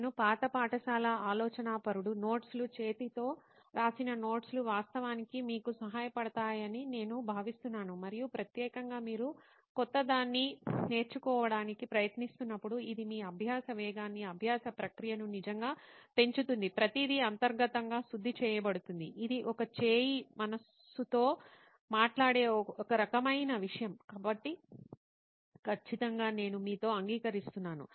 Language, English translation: Telugu, I am an old school thinker that way that I think notes hand written notes actually help you and for particularly when you are trying to learn something new it really enhances your learning speed, learning process, everything is refined internally, it is a hand talks to the mind kind of thing, so definitely I agree with you on that part